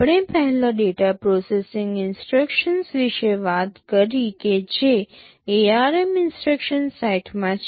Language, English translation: Gujarati, We first talked about the data processing instructions that are present in the ARM instruction set